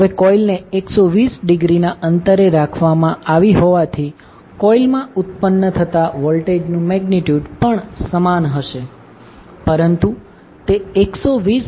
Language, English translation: Gujarati, Now, since the coils are placed 120 degree apart, the induce voltage in the coils are also equal in magnitude but will be out of phase by 120 degree